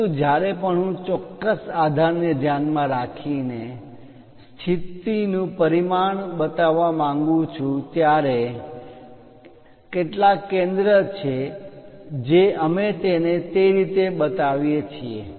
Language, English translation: Gujarati, But whenever I would like to show position dimension with respect to certain base, there is some center we will show it in that way